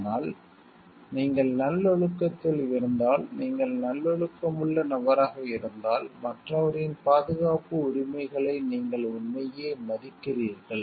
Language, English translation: Tamil, But, if you are in a virtuous nature, if you are a virtuous kind of person where you really respect the safety rights of other person